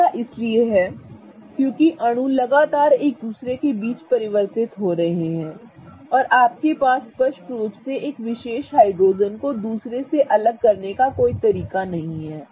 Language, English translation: Hindi, That is because the molecule is constantly interconverting between each other and you clearly have no way to detect one particular hydrogen different from the other